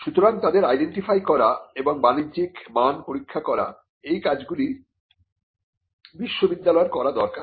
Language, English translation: Bengali, So, identifying them and testing the commercial value is something which needs to be done by the university